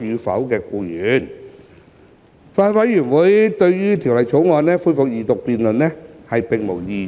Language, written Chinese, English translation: Cantonese, 法案委員會對《條例草案》恢復二讀辯論並無異議。, The Bills Committee raised no objection to the resumption of the Second Reading debate on the Bill